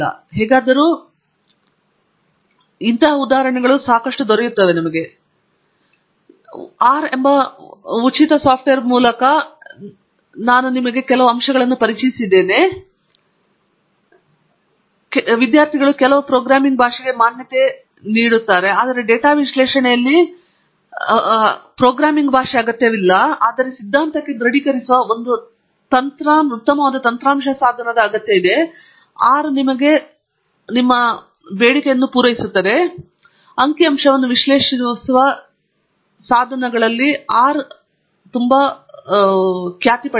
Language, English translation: Kannada, Anyway, so hopefully I have introduced to you through these examples first of all the great free open source software package called R, because some of the students have seen in the forum have requested for introduction to, an exposure to some programming language, but what is needed in data analysis is not necessary programming language, but a nice software tool that confirms to the theory, and R has been written by many of the pioneers in the world of statistical data analysis